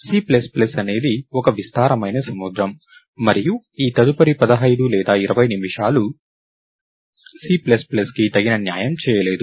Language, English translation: Telugu, C plus plus is a vast ocean and this next 15 or 20 minutes is not going to give enough justice to C plus plus